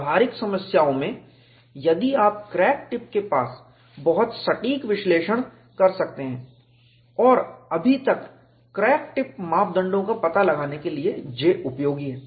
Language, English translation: Hindi, If you can do away with very precise analysis near the crack tip, and yet to find out the crack tip parameters, J has been useful